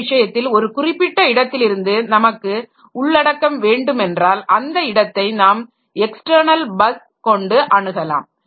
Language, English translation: Tamil, So, in that case for getting a content of a particular location, it has to access to this external bus